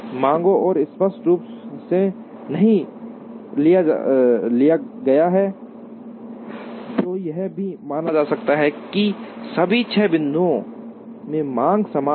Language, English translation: Hindi, The demands are not explicitly taken, which is also can be assumed that, the demands are the same in all the six points